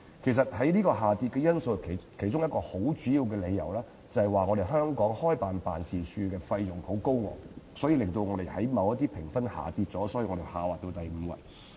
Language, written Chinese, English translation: Cantonese, 事實上，排名下跌其中一個主要因素，是香港開設辦事處的費用十分高昂，令我們在某些評分上下跌，以致排名下滑至第五位。, In fact a major factor leading to the drop of our ranking is the exorbitant fees for setting up offices in Hong Kong . Our lower scores in certain areas have led to the drop of our overall ranking to the fifth place